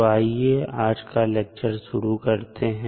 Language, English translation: Hindi, So, let us start the discussion of today's lecture